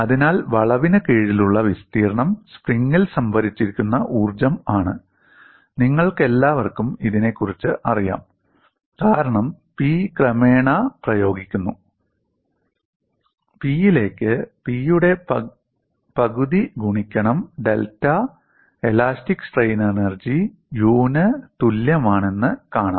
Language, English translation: Malayalam, So, the area under the curve is what is the energy that is stored within the spring, you all know about it because, P is applied gradually, you find elastic strain energy U equal to 1 half of P into delta